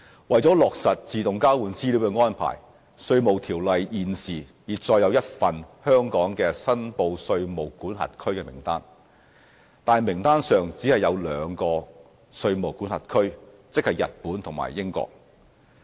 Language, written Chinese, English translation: Cantonese, 為落實自動交換資料的安排，《稅務條例》現時已載有一份香港的"申報稅務管轄區"名單，但名單上只有兩個稅務管轄區，即日本和英國。, For the implementation of AEOI the Inland Revenue Ordinance currently contains a list of reportable jurisdictions for Hong Kong but there are only two jurisdictions on the list namely Japan and the United Kingdom